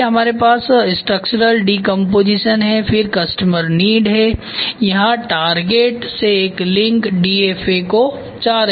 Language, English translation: Hindi, So, we have structural decomposition so customer needs so, from target there is a link to DFA ok